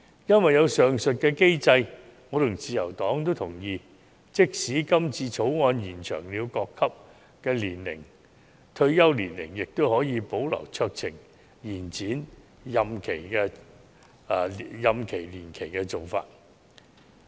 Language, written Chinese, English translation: Cantonese, 有了上述機制，我和自由黨都同意，即使《條例草案》延展各級別法官和司法人員的退休年齡，也可以保留酌情延展任期的做法。, With the above mechanism the Liberal Party and I agree that even if the Bill extends the retirement age of JJOs at all levels the discretionary extension of term of office can be retained